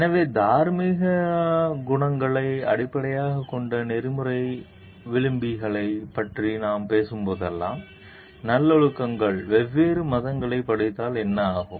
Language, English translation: Tamil, So, whenever we are talking of ethical values, which are based on moral qualities, virtues what happens if we study different religions also